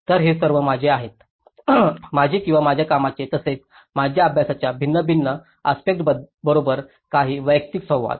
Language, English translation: Marathi, So, these are all my, some of my personal interactions with these or various other various aspects of my work and as well as my study